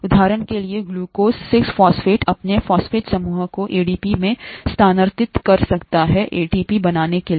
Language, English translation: Hindi, For example, glucose 6 phosphate can transfer its phosphate group to ADP to form ATP